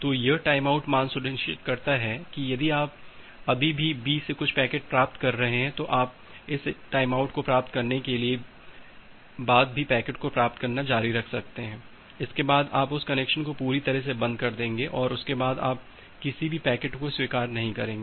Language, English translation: Hindi, So, this timeout value ensures that well if you are still receiving some packets from B, then you can continue receiving that packet once this timeout occurs, you completely close that connection you will not accept any packet after that